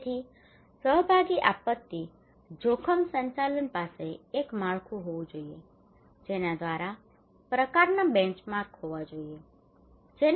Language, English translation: Gujarati, So participatory disaster risk management should have one framework through which to the kind of benchmark